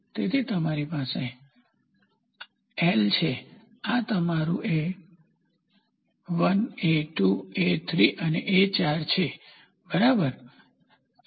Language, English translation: Gujarati, So, you have so this is your L, this is your A1, A2, A3, A4, ok